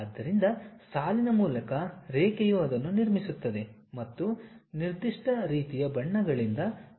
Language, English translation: Kannada, So, line by line it construct it and fills it by particular kind of colors